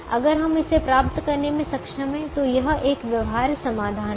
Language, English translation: Hindi, if we are able to get that, then it is a feasible solution